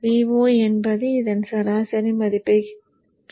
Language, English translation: Tamil, V0 would be the average value of this